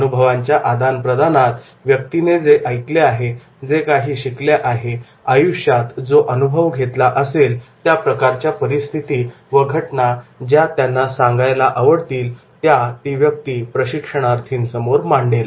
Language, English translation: Marathi, Experience sharing is that whatever the person has either have heard or whatever he has learned, whatever he has experienced in his life and then those situations that he will like to talk with the trainees